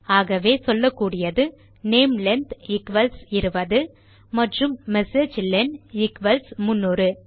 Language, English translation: Tamil, So you can say namelen equals 20 and you can say messagelen equals to 300